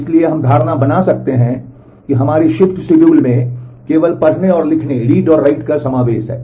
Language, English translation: Hindi, So, we can make this assumption that our shift schedules consist only of read and writing